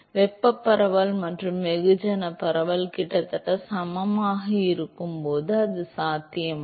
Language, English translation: Tamil, When can it be the case that the thermal diffusivity and mass diffusivity are almost equal